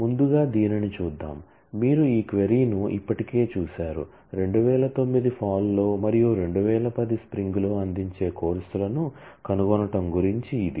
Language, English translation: Telugu, So, let us look at this; you have already seen this query before find courses offered in fall 2009, and in fall in spring 2010